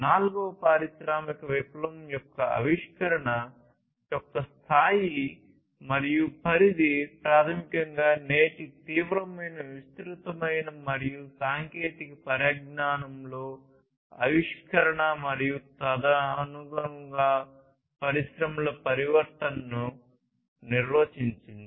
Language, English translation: Telugu, So, the scale and scope of innovation of fourth industrial revolution has basically defined today’s acute disruption and innovation in technologies and the transformation of industries accordingly